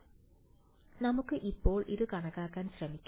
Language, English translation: Malayalam, So, let us try to calculate this now